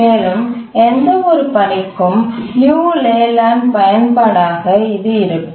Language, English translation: Tamil, That will be the application of the Leland to any task